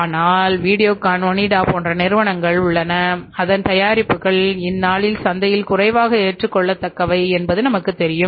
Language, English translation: Tamil, But there are the companies like Videocon, Onida whose products has less acceptability in the market these days